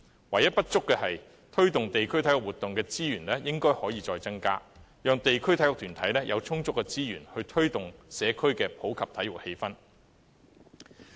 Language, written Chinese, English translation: Cantonese, 唯一不足的是，推動地區體育活動的資源應可再增加，讓地區體育團體有充足資源，推動社區的普及體育氣氛。, The only shortfall is that more resources should be granted for the promotion of district sports activities so that district sports associations can have sufficient resources to take forward popularization of sports in the community